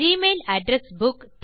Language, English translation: Tamil, What is an Address Book